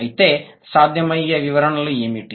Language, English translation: Telugu, What could be the possible explanations